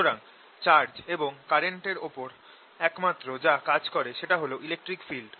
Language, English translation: Bengali, so the only work that is done on these charges and currents is by the electric field